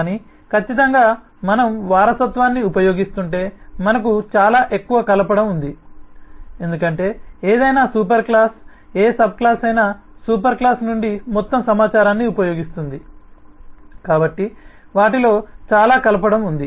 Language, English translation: Telugu, but certainly if we are using inheritance, then we have a very high coupling, because any superclass, rather any subclass, will use the whole lot of information from the superclass